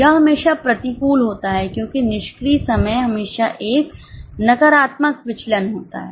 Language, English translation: Hindi, It is always adverse because idle time is always a negative variance